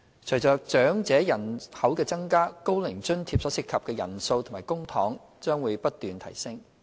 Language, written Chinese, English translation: Cantonese, 隨着長者人口增加，"高齡津貼"所涉及的人數及公帑將會不斷提升。, In the face of growing elderly population the number of OAA beneficiaries and public funds involved would continue to increase